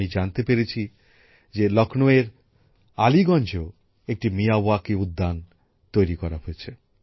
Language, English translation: Bengali, I have come to know that a Miyawaki garden is also being created in Aliganj, Lucknow